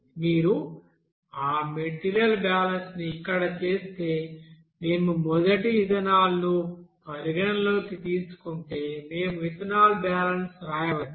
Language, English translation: Telugu, So if you do that material balance here, if we consider suppose ethanol first, we can write the ethanol balance here